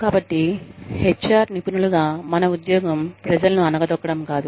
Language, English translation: Telugu, So, our job, as HR professionals, is not to put, people down